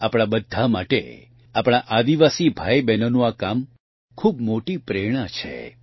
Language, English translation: Gujarati, For all of us, these endeavours of our Adivasi brothers and sisters is a great inspiration